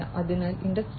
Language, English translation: Malayalam, In Industry 4